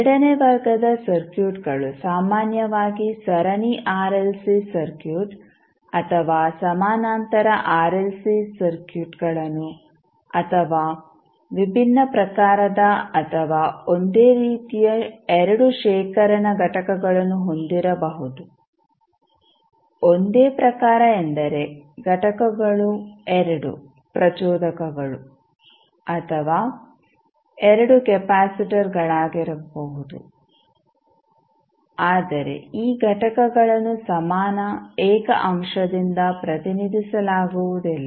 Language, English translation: Kannada, So, second order circuits can typically series RLC circuit or parallel RLC circuits or maybe the 2 storage elements of the different type or same type; same type means that the elements can be either 2 inductors or 2 capacitors but these elements cannot be represented by an equivalent single element